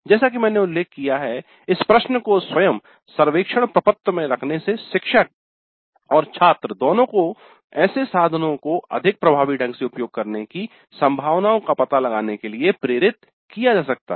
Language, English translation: Hindi, Again as I mentioned, having this question itself in the survey form may trigger both the faculty and students to explore the possibilities of using such tools in a more effective fashion